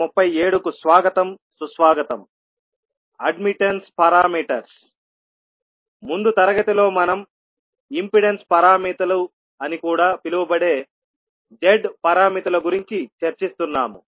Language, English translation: Telugu, Namaskar, so in the last class we were discussing about the Z parameters that is also called as impedance parameters